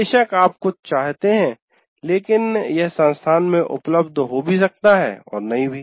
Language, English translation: Hindi, Of course, you may want something but it may or may not be available by the institute